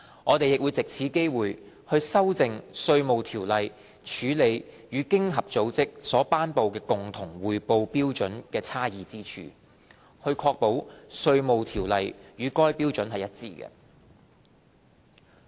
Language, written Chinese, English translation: Cantonese, 我們亦藉此機會，修訂《稅務條例》處理與經合組織所頒布的共同匯報標準差異之處，確保《稅務條例》與該標準一致。, We have also taken this opportunity to address the inconsistencies between IRO and CRS promulgated by OECD by amending IRO to ensure alignment